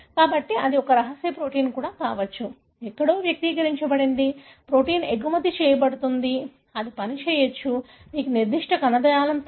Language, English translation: Telugu, So, but it could be a, even a secretory protein, you know, expressed somewhere, protein is exported, it may act on, you know particular tissue